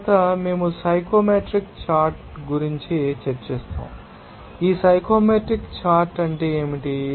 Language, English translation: Telugu, Next, we will discuss the psychometric chart, what is that psychometric chart